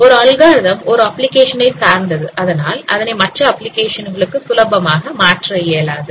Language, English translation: Tamil, It is dependent on one application and it is not easily transferable to other applications